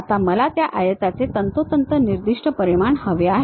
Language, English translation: Marathi, Now, I would like to have so and so specified dimensions of that rectangle